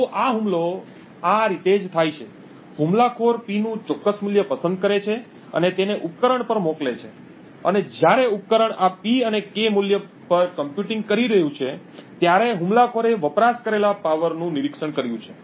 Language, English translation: Gujarati, So, the attack goes like this, the attacker chooses a particular value of P and sends it to the device and while the device is computing on this P and K value, the attacker has monitored the power consumed